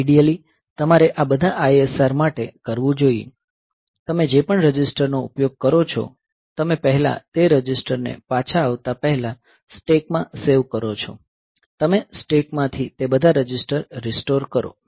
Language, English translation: Gujarati, So, ideally you should do this for all ISR; whatever register you are using, you first save those registers into stack and before coming back; so you restore all those registers from the stack